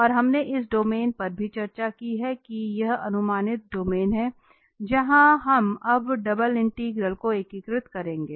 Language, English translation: Hindi, And the domain also we have discussed that this is the projected domain where we will be integrating now double integral